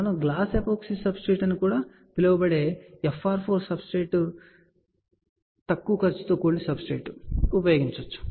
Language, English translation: Telugu, We have used a low cost substrate which is FR 4 substrate also known as glass epoxy substrate